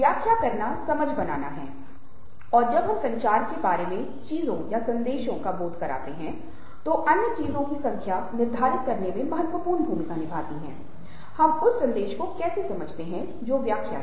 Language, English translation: Hindi, interpretation is making sense, and when we make sense of things or messages within communicative context, then number of other things play significant role in determining how we understand the message